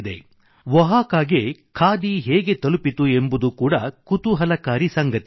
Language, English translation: Kannada, How khadi reached Oaxaca is no less interesting